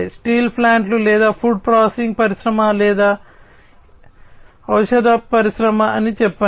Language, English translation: Telugu, Like let us say steel plants or, you know, food processing industry or, pharmaceuticals industry etcetera